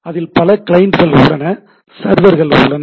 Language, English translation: Tamil, There are clients, there are servers right